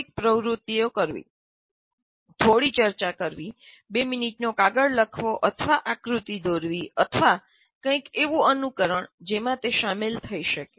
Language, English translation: Gujarati, Doing some activity, doing some discussion, writing a two minute paper, or drawing a diagram, or simulating something